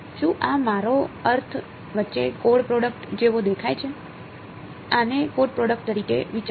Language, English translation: Gujarati, Does this look like the dot product between I mean, think of this as a not a dot product